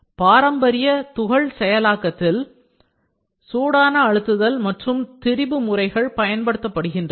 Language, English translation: Tamil, In traditional powder processing hot pressing and other deformation processes are employed